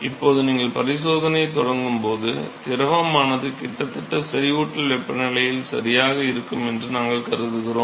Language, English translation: Tamil, Now here we assume that when you start the experiment the fluid is almost at the saturation temperature ok